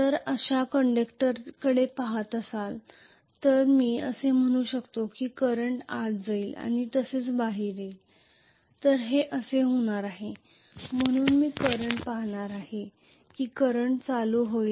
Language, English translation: Marathi, So if am looking at the conductor like this I can say the current goes inside like this and comes out like this, this is how it is going to be,right